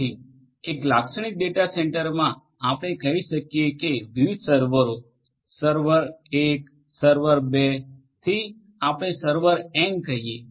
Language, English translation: Gujarati, So, in a typical data centre we will have let us say that different servers: server 1, server 2 to let us say server n right